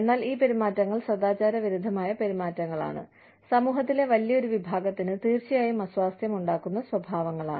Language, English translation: Malayalam, But, these behaviors are unethical behaviors, are those behaviors, which are definitely uncomfortable, for a large section of the society